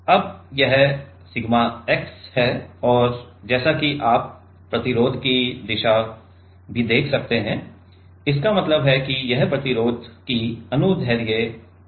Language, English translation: Hindi, Now this is a sigma x and as you can see the direction of the resistor also, it means it is the longitudinal direction of the resistor